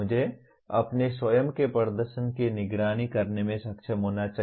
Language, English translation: Hindi, I should be able to monitor my own performance